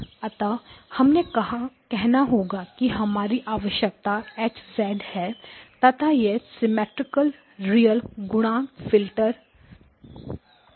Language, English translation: Hindi, So let us say that this is H of z this is my requirement, okay and symmetric real coefficient filter